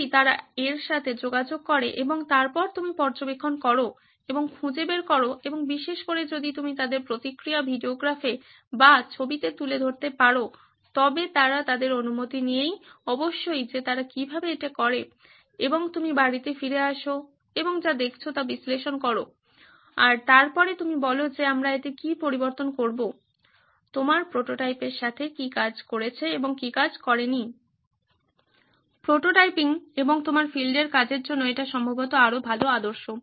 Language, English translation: Bengali, If they would interact with that and then you observe and find out and preferably if you can even videograph or photograph their reactions how they do it with their permission of course and you come back home and analyze what you have seen, what you have observed and then take your call on what do we change in this, what work and what did not work with your prototype That is probably better ideal to in terms of prototyping and your field work